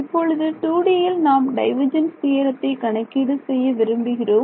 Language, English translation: Tamil, Now I want to evaluate this divergence theorem in 2 D over here